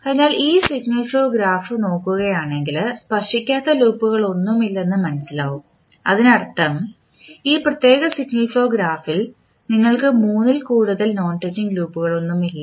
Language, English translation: Malayalam, So, if you see this signal flow graph you will not be, you will see that there is no any non touching loop, which means there is no, not more than three non touching loops you can see in this particular signal flow graph